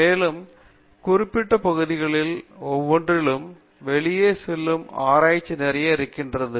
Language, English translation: Tamil, So in each of these areas there is lot of research which goes out